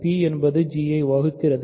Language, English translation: Tamil, So, p divides g h